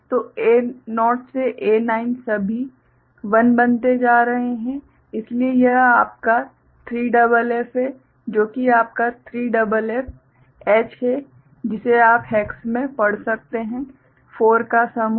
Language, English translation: Hindi, So, all becoming 1, A0 to A9, so that is your 3FF, that is your 3FF that you can read in hex means group of 4